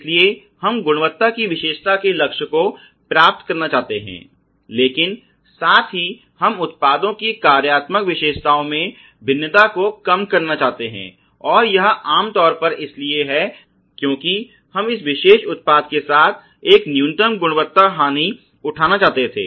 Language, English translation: Hindi, So, simply stating we want to achieve the target of quality characteristic, but at the same time, we want to minimize the variation in the products functional characteristics and that is typically because we wanted to have a minimum quality loss associated with this particular product